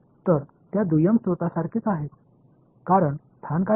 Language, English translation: Marathi, So, there are exactly like those secondary sources; because what is the location